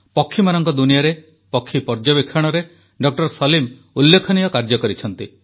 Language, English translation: Odia, Salim has done illustrious work in the field of bird watching the avian world